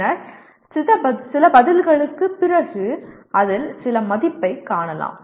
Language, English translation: Tamil, And then after a few responses, you see some value in that